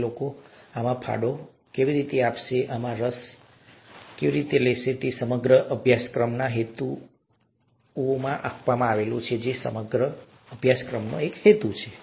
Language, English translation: Gujarati, Getting those people to contribute to this, getting those people interested in this, is the purpose of this whole course, or one of the purposes of this whole course